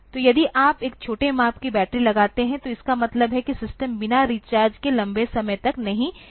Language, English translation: Hindi, So, if you put a smaller size battery, means the system will not be able to run for a long time without recharge